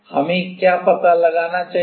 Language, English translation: Hindi, What do we need to find out